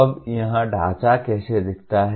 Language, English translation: Hindi, Now how does this framework look like